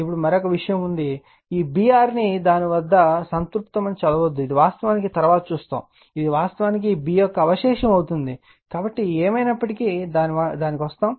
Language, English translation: Telugu, Now, and one thing is there, this B r do not read at it as saturated right, it is actually later we will see, it is actually B residual right, so anyway we will come to that